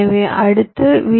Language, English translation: Tamil, so all the i